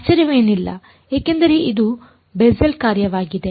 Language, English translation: Kannada, Not surprising because its a Bessel’s function